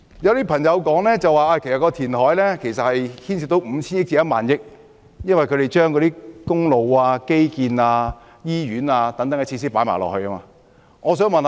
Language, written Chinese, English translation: Cantonese, 有些朋友說，填海開支高達 5,000 億元至1萬億元，原因是他們把興建公路、基建和醫院等開支也計算在內。, Some friends have pointed out that the reclamation expenditure is as high as 500 billion to 1,000 billion . This is because they have included the construction of roads infrastructure and hospitals in their calculation